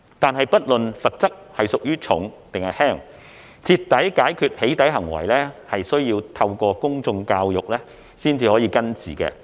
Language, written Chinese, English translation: Cantonese, 然而，不論罰則屬重或輕，徹底解決"起底"行為需要透過公眾教育才能根治。, Nevertheless regardless of the severity of the penalties public education is needed to eradicate the root causes of doxxing